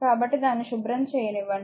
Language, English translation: Telugu, So, let me let me clean this one